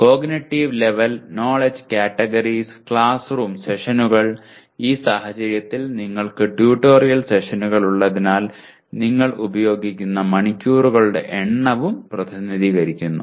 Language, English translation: Malayalam, Cognitive level, knowledge categories, classroom sessions and because in this case you have tutorial sessions you also represent number of hours that are used